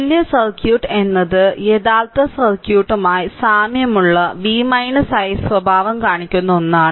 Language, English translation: Malayalam, And equivalent circuit is one whose v i characteristic are identical with the original circuit